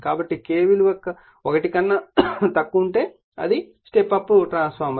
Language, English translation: Telugu, So, that is K greater than for step down transformer